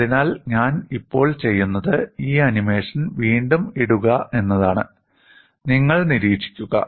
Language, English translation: Malayalam, So, what I will do now is I will put this animation; again, you just observe, the animation is illustrative